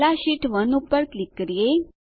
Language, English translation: Gujarati, First, let us click on sheet 1